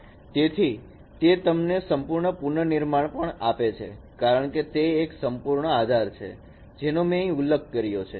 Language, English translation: Gujarati, So, it gives you the full reconstruction because it is a complete base as I mentioned